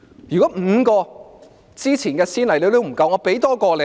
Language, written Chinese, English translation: Cantonese, 如果5宗先例都不夠，我再多舉1宗。, If these five precedents are still insufficient I can cite one more